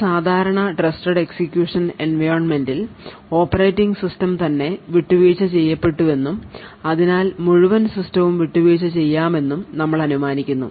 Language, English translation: Malayalam, So, in a typical Trusted Execution Environment we assume that the operating system itself is compromised and thus the entire system may be compromised